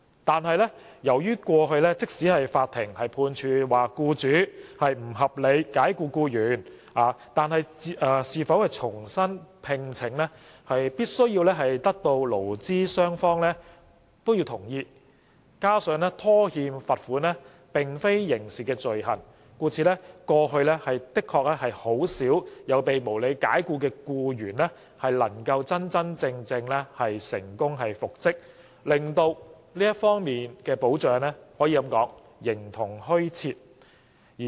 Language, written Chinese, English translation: Cantonese, 然而，由於過去即使法庭判處僱主不合理解僱僱員，亦必須得到僱主同意，有關僱員才可獲復職，加上僱主拖欠罰款並非刑事罪行，故此過去確實很少被無理解僱的僱員能夠成功復職，保障可謂形同虛設。, Nevertheless given that in the past even if the employer was convicted by the court for unreasonable dismissal his consent was required for the reinstatement of the employee and non - payment of penalty on the part of the employer was not an offence hence employees who were unreasonably dismissed could seldom be reinstated . It can be said that the protection has existed only in name